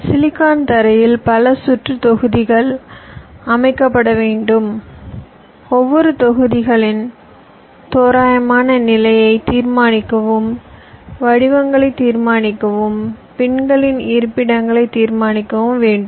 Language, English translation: Tamil, a number of circuit block have to be laid out on the silicon floor, determine the rough position of each of the blocks, determine the shapes, determine the pin locations